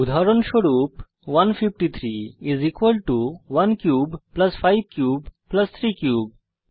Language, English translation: Bengali, For example, 153 is equal to 1 cube plus 5 cube plus 3 cube